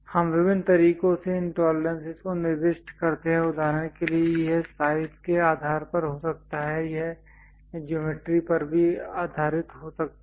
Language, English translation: Hindi, These tolerances we specify it in different ways for example, it can be based on size it can be based on geometry also